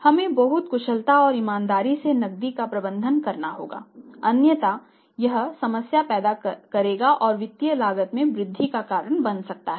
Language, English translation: Hindi, We have to manage the cash very efficiently and sincerely or otherwise it will create problem and may increase cost